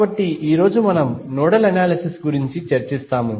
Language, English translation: Telugu, So, today we will discuss about the Nodal Analysis